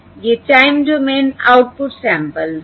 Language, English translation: Hindi, So these are the time domain input samples